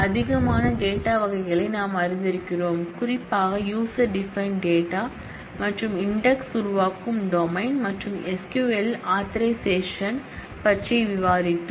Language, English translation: Tamil, We are familiarized with more data types particularly user defined types and domains creation of index and we have discussed about authorization in SQL